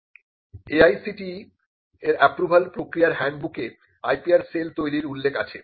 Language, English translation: Bengali, And the AICTE, approval process handbook mentions the creation of IPR cell